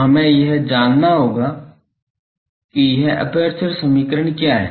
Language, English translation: Hindi, So, we will have to know what is this apertures equation etc